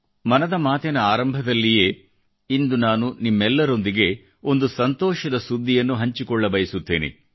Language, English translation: Kannada, I want to share a good news with you all at the beginning of Mann ki Baat today